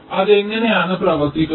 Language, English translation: Malayalam, so how does it work